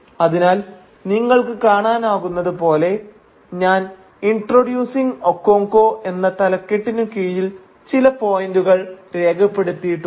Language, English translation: Malayalam, So I have, as you can see, I have listed a few points, under this thematic heading of Introducing Okonkwo